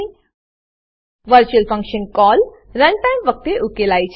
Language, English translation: Gujarati, Virtual function call is resolved at run time